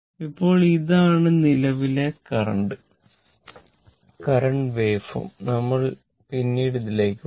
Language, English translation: Malayalam, Now, this is the current this is the say current waveform will come to this later